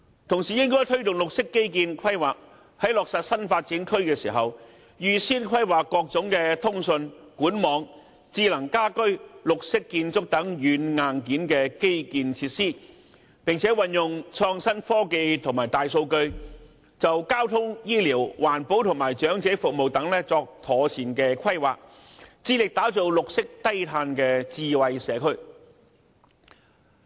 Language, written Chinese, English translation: Cantonese, 同時，應該推動綠色基建規劃，在落實新發展區時，預先規劃各種通訊、管網、智能家居、綠色建築等軟、硬件基建設施，並運用創新科技和大數據，就交通、醫療、環保和長者服務等作妥善規劃，致力打造綠色低碳的智慧社區。, The Government should also promote green infrastructure planning . When implementing new development zones the Government should conduct advance planning for software and hardware infrastructure such as communications pipe networks smart home and green construction . It should also make use of innovative technologies and big data to conduct proper planning for transportation health care environmental protection and elderly services striving to create a green and low - carbon smart community